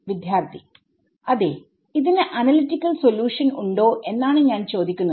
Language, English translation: Malayalam, Yeah, what I am asking is does it have an analytic solution